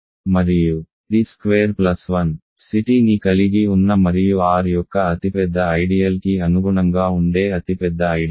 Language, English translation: Telugu, And the largest ideal that contains t squared plus 1 C t itself and that corresponds to the largest ideal of R